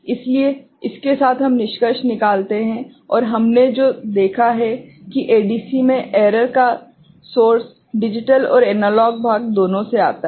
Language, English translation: Hindi, So, with this we conclude and what we have seen that in ADC the source of error comes from both digital and analog part